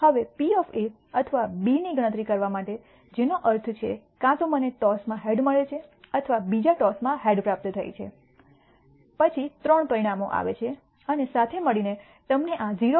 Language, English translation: Gujarati, Now in order to compute the probability of A or B which means either I receive a head in the first toss or I receive a head in the second toss, then this comes to three outcomes and together gives you a probability of 0